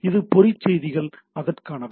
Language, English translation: Tamil, So this trap messages are for that